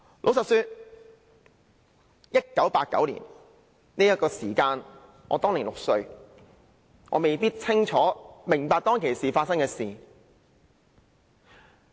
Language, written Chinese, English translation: Cantonese, 老實說 ，1989 年我只有6歲，未必清楚明白當時發生的事情。, Honestly I was only six years old in 1989 so I might not understand clearly what was happening at the time